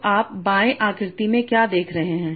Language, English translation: Hindi, So this is you are seeing in the right hand side